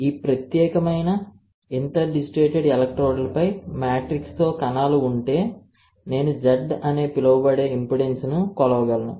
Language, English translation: Telugu, If I have cells with the matrigel on this particular interdigitated electrodes I can measure impedance called Z, alright